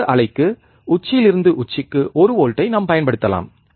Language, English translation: Tamil, And we can apply one volt peak to peak square wave